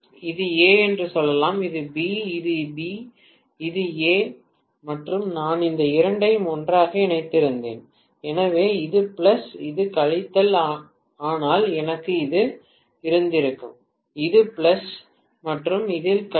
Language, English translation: Tamil, Let us say this is A, this is B and this is B, this is A and I had connected these two together, so I would have had is this is plus, this is minus but, I am going to have this is plus and this is minus